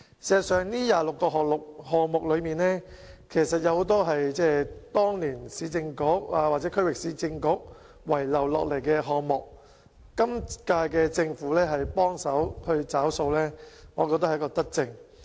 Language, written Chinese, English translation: Cantonese, 事實上，這26個項目之中，很多是當年市政局或區域市政局遺留下來的項目，今屆政府幫忙"找數"，我認為是一項德政。, In fact many of these 26 projects are left over by the former Urban Council or Regional Council and the current - term Government is helping to settle the bill . This I think is a beneficent policy